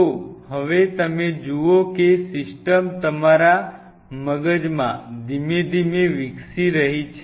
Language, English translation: Gujarati, So, now, you see how the system is slowly evolving in your brain